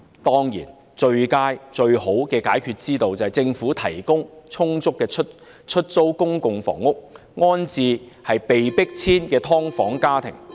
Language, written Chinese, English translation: Cantonese, 當然，最佳的解決之道，是政府提供充足的出租公共房屋，安置被迫遷的"劏房"家庭。, Certainly the best solution is for the Government to provide sufficient public rental housing units to resettle households forced to move out of subdivided units